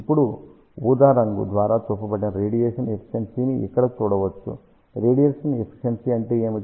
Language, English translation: Telugu, Now, one can see here radiation efficiency shown by purple color, so that is what is the radiation efficiency